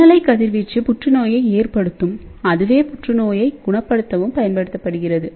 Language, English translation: Tamil, So, microwave radiation can cause cancer and microwave radiation can cure cancer also